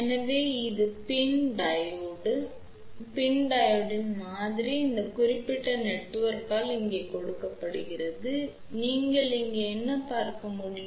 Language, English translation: Tamil, So, this is the PIN Diode the model of the PIN Diode is given by this particular network over here, what you can see over here